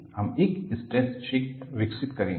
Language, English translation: Hindi, We would develop the stress field